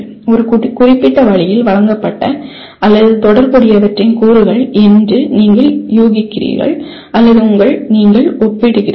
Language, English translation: Tamil, You are inferring that the elements of what is presented or related in one particular way or you are comparing